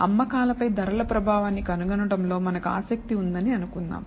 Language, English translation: Telugu, So, suppose we are interested in finding the effect of price on the sales volume